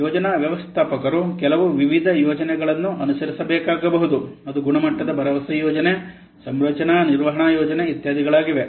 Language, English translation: Kannada, Then the project managers may have to follow some mislinous plans where the equalist assurance plan, configuration management plan, etc